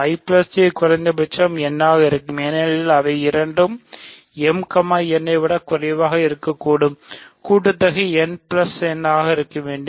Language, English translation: Tamil, Either I plus I will be at least n or J will be at least m because if they are both strictly less than n and strictly less than m than the sum cannot be, sum has to be n plus m, right